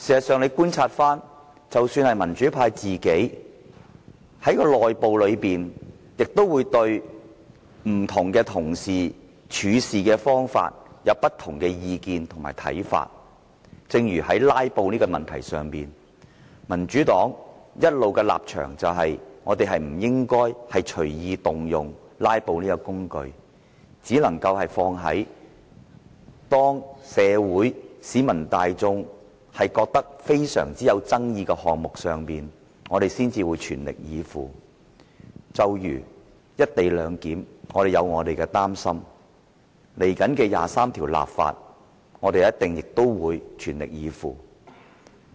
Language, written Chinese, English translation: Cantonese, 事實上，民主派內部也會對不同同事的處事方法有不同的意見和看法，正如在"拉布"的問題上，民主黨的立場一直認為不應隨意動用"拉布"這個工具，只能用在社會和市民大眾都覺得非常有爭議的項目上，我們才會全力以赴，正如"一地兩檢"，我們有所擔心，對於接下來的《基本法》第二十三條立法，我們亦一定會全力以赴。, Actually democratic Members may also have different views and opinions towards the approaches adopted by different Members within the camp . For instance on the issue of filibustering the Democratic Party all along holds that we should only resort to this means when highly controversial issues concerning society and the public are at stake . Only when such issues are at stake will we filibuster at all costs such as the co - location issue and the upcoming legislation on Article 23 of the Basic Law that we are concerned about